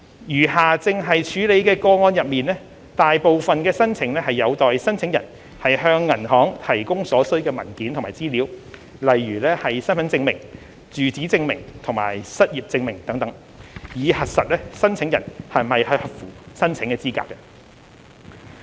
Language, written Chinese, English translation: Cantonese, 餘下正在處理的個案中，大部分申請有待申請人向銀行提供所需的文件和資料，例如身份證明、住址證明和失業證明等，以核實申請人是否合乎申請資格。, Most of the remaining applications being processed by the banks are pending applicants submission of the required documents and information such as identity proof address proof and unemployment proof for the purpose of verifying their eligibility